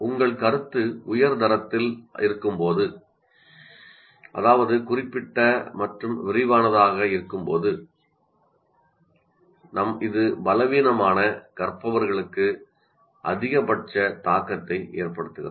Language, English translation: Tamil, And when your feedback is of high quality that you are going to be very specific, very detailed, it has maximum impact on the weakest learners